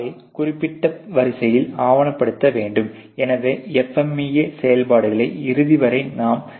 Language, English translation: Tamil, So, that has to be documented in that particular order, so I will discuss to the end of the FMEA activities